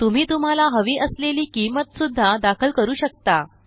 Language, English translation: Marathi, You can also enter the amount you want